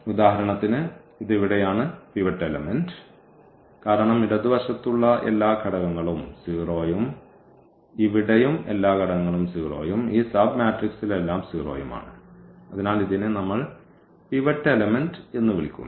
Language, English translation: Malayalam, So, we will not be talking about the left to this one for instance this one here this is the pivot element because everything to the left all the elements are 0 and here also all the elements are 0 and in this sub matrix everything is 0; so this is we call the pivot element